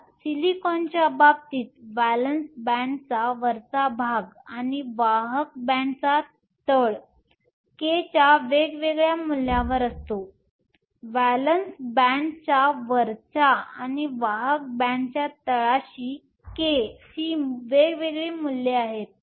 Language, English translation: Marathi, So, in the case of silicon, the top of the valence band and the bottom of the conduction band are at different values of k; top of the valence band and the bottom of the conduction band have different values of k